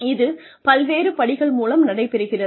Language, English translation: Tamil, This happens through various steps